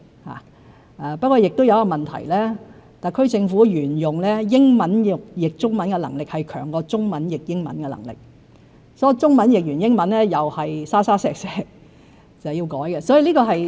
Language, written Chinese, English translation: Cantonese, 不過，特區政府亦有一個問題，一直以來把英文翻譯成中文的能力較把中文翻譯成英文的能力強，當中文譯成英文後亦充滿"沙沙石石"，需要再作修改。, However the SAR Government is faced with another problem ie . we are better at translating from English into Chinese than from Chinese into English; and the translation of Chinese into English with slips here and there always needs further revision